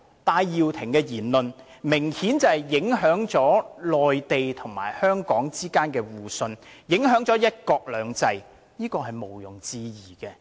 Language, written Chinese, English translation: Cantonese, 戴耀廷的言論明顯影響了內地與香港之間的互信，影響了"一國兩制"，這是毋容置疑的。, It is not that if they say he is not guilty then he is not guilty . Benny TAIs remarks have obviously affected the mutual trust between the Mainland and Hong Kong as well as one country two systems . This is indisputable